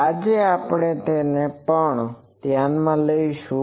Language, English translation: Gujarati, Today we will take that also into account